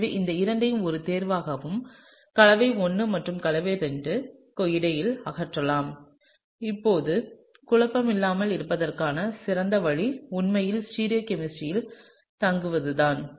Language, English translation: Tamil, So, therefore, these two can be eliminated as a choice and between compound I and compound II, now the best way to not get confused is actually to stay in the stereochemistry